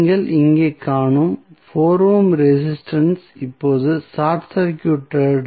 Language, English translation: Tamil, So, the 4 ohm resistance which you see here is now short circuited